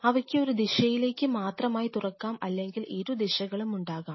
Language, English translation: Malayalam, They may only open in one direction or they may not they may have both directionalities